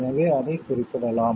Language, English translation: Tamil, So, it can be referred to